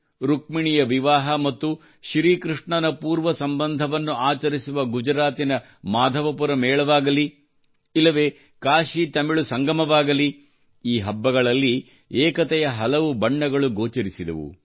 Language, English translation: Kannada, Be it the Madhavpur Mela in Gujarat, where Rukmini's marriage, and Lord Krishna's relationship with the Northeast is celebrated, or the KashiTamil Sangamam, many colors of unity were visible in these festivals